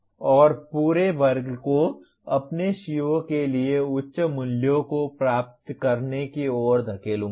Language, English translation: Hindi, And push the entire class towards attaining higher values for your COs